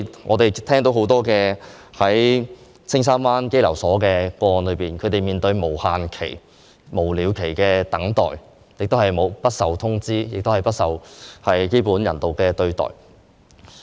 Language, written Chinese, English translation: Cantonese, 我們聽到很多青山灣入境事務中心一些被羈留人士的個案，他們面對無了期的等待，不被通知，亦沒有得到基本人道對待。, We have heard so many cases about some detainees at the Castle Peak Bay Immigration Centre who are waiting endlessly . They do not receive any notices nor are they treated humanely